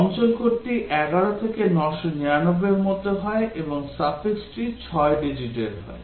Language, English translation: Bengali, The area code is between 11 to 999, and the suffix is any 6 digits